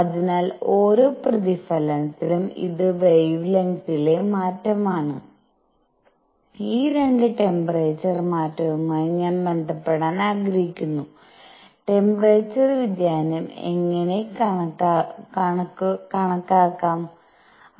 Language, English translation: Malayalam, So, during each reflection this is the change in the wavelength and I want to relate this 2 the temperature change; how do we calculate the temperature change